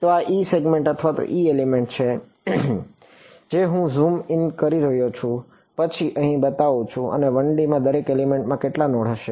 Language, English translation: Gujarati, So, this is the eth segment or the eth element which I am zooming in and then showing over here and each element in 1D will have how many nodes